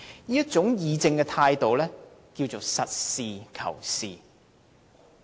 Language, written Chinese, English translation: Cantonese, 這種議政的態度，名為實事求是。, This is a pragmatic attitude of political discussion